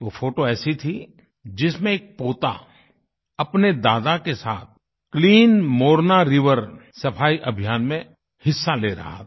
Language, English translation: Hindi, The photo showed that a grandson was participating in the Clean Morna River along with his grandfather